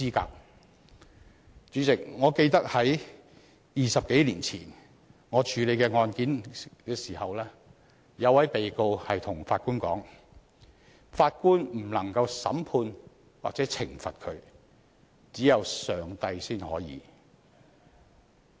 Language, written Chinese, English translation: Cantonese, 代理主席，我記得20多年前當我處理一宗案件時，一名被告向法官說法官不能審判或懲罰他，只有上帝才可以。, Deputy President I recall that some 20 years ago when I handled a case the defendant said to the Judge that only God not Judges was in a position to try or punish him